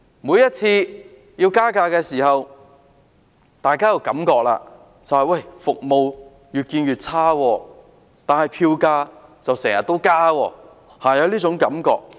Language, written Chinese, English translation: Cantonese, 每次加價的時候，大家都覺得服務越來越差，但票價卻經常增加，是會有這種感覺的。, Whenever a fare rise is mooted everyone would feel that the service quality is deteriorating but fare rises are frequent . People would have such a perception